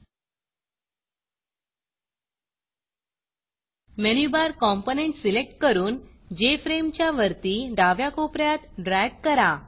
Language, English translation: Marathi, Select the Menu Bar component and drag it to the top left corner of the Jframe